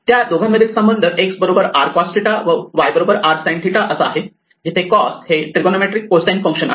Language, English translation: Marathi, The connection between the two is that x is r cos theta where cos is the trigonometric cosine function; y is equal to r sin theta